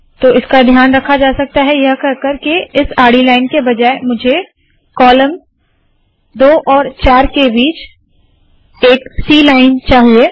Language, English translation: Hindi, So this is taken care of by saying instead of this horizontal line, I want a C line and between the columns 2 and 4